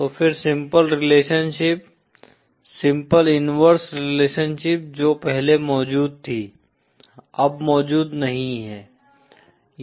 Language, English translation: Hindi, So then the simple relationship, simple inverse relationship that exists before doesnÕt exist anymore